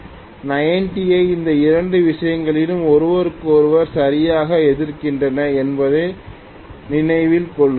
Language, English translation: Tamil, Now, if I look at 90, please note both these things are exactly opposing each other